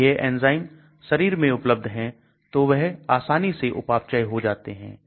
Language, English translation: Hindi, If these enzymes are present in the body, they could get metabolized